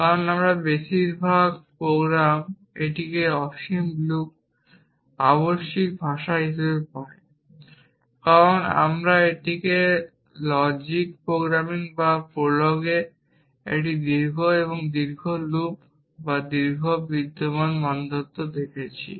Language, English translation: Bengali, Of course, most of our programs get it be infinite loop imperative languages, because we have written it a long a long loop or long exist criteria in logic programming or prolog